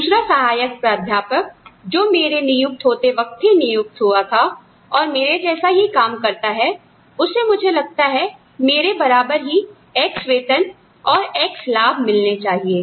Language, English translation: Hindi, Another assistant professor, who joined at the same time as me, doing the same kind of work as me, gets, should get, I feel should get, x amount of salary, x amount of benefits, just what I get